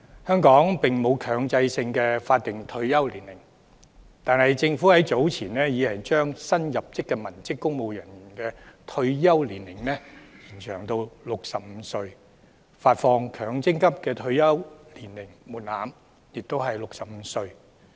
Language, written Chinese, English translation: Cantonese, 香港並沒有強制性的法定退休年齡，但政府早前已把新入職的文職公務員的退休年齡延長至65歲，發放強制性公積金的退休年齡門檻亦是65歲。, There is no mandatory statutory retirement age in Hong Kong . However the Government has raised the retirement age of newly recruited civilian civil servants to 65 earlier on . The age threshold for withdrawing accrued benefits under Mandatory Provident Fund schemes is also 65